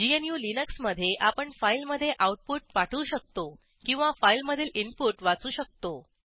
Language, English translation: Marathi, In GNU/Linux we can send output to a file or read input from a file